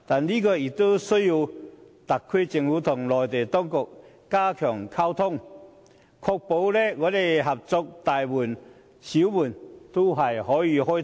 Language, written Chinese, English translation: Cantonese, 不過，這有賴特區政府與內地當局加強溝通和合作，確保合作的大門與小門都可以開通。, However it rests on the SAR Government to strengthen communication and cooperation with the Mainland authorities to ensure that all doors both big and small are open